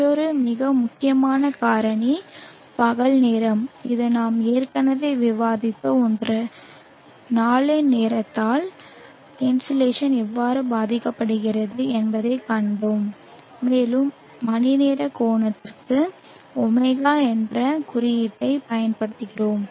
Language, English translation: Tamil, Another very important factor is the time of day this is something that we have discussed already and we saw how the insulation is affected by the time of the day and we use the symbol